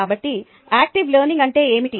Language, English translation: Telugu, so what is active learning